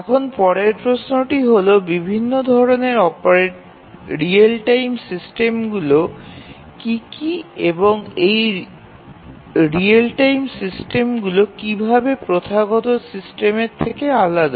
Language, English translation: Bengali, Now, let us try to answer basic questions basic question that what are the different types of real time systems and how are these real time systems different from traditional system